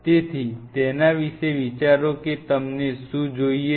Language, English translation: Gujarati, So, think over it what all you needed